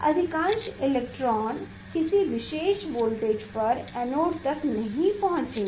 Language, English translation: Hindi, most of the electron will not reach to the anode at a particular voltage